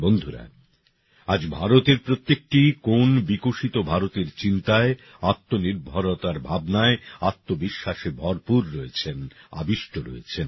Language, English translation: Bengali, Friends, today every corner of India is brimming with selfconfidence, imbued with the spirit of a developed India; the spirit of selfreliance